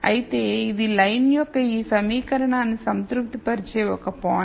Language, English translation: Telugu, However, this is a point which would satisfy this equation of the line